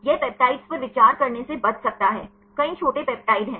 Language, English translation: Hindi, This can avoid considering the peptides; there are many short peptides